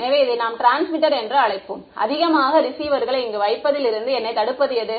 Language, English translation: Tamil, So, let us call this is the transmitter; what prevents me from putting more receivers over here